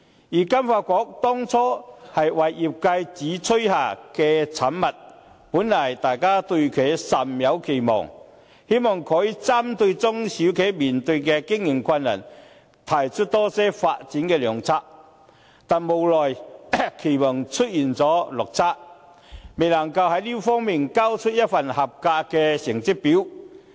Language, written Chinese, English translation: Cantonese, 而金發局當初為業界主催下的產物，本來大家對其甚有期望，希望可以針對中小企面對的經營困難，提出多些發展的良策，但無奈期望出現了落差，未能在這方面交出一份合格的成績表。, Facing the operating difficulties of SMEs it is our hope that FSDC can bring forth better recommendations for development . It is unfortunate that it has fallen short of our expectations and is unable to pass in the appraisal